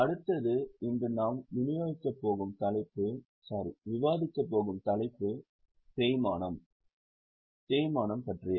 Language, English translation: Tamil, The next one is the topic which we are going to discuss today that is about depreciation